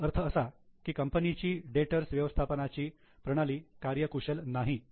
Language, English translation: Marathi, That means their data management system is not efficient